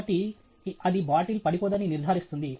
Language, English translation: Telugu, So, that ensures that the bottle cannot be topple down